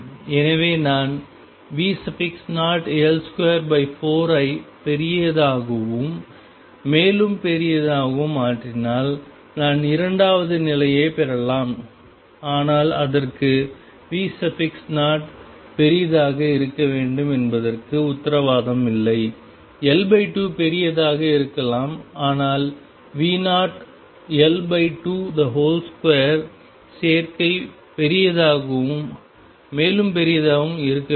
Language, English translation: Tamil, So, that if I make V naught times L square by 4 bigger and bigger I may get the second state, but that is not guaranteed for that the V naught has to be larger, L naught by 2 can be larger or a combination V naught L by 2 square has to be larger and larger